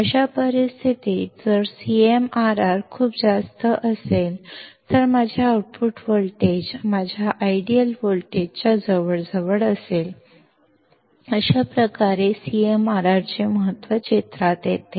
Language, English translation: Marathi, So, in that case if CMRR is extremely high, my output voltage would be close to my ideal voltage and thus the importance of CMRR comes into picture